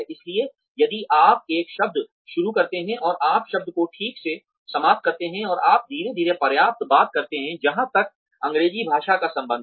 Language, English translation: Hindi, So, if you start a word and you end the word properly and you talk slowly enough, as far as the English language is concerned